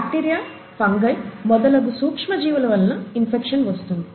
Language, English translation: Telugu, Infection is caused by micro organisms, such as bacteria, fungi and so on, okay